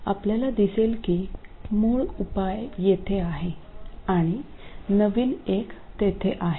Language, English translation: Marathi, You see that the original solution is here and the new one is there